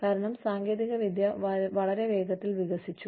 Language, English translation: Malayalam, Because, technology has developed, so fast